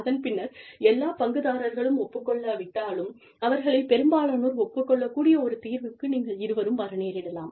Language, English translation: Tamil, And, both of you could come to a solution, that can be acceptable, to most of the stakeholders, if not all